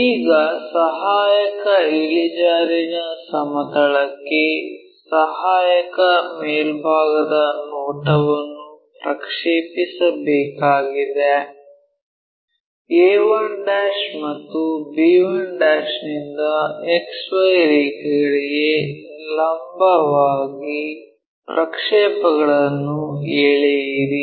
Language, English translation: Kannada, Now, to project auxiliary top view on to AIP, auxiliary incline plane draw projections from a 1' and b 1' perpendicular to X Y lines